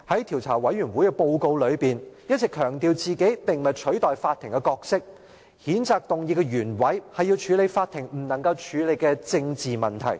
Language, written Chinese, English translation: Cantonese, 調查委員會在報告中一直強調並非取代法庭的角色，而譴責議案的原委是要處理法庭不能處理的政治問題。, The investigation committee stresses time and again in its report that it does not intend to take over the role of a court and the censure motion aims at addressing a political issue that cannot be addressed by the court